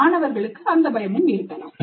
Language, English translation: Tamil, Students may have that fear